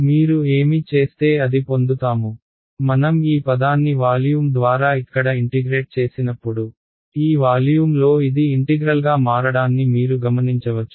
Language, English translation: Telugu, We are you are getting to what I am getting to next, you notice that when I integrate this term over here over volume, this becomes an integral of this over volume right